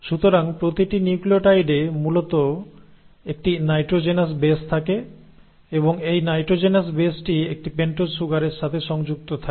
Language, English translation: Bengali, So each nucleotide basically has a nitrogenous base and this nitrogenous base is attached to a pentose sugar